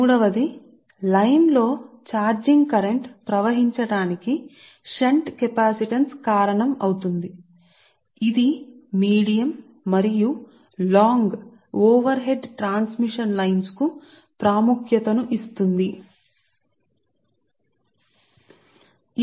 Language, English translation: Telugu, and third point is the shunt capacitance causes charging current to flow in the line right and assumes importance for medium and long transmission line, long overhead lines